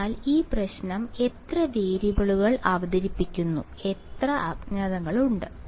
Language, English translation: Malayalam, So, how many variables does this problem present, how many unknowns are there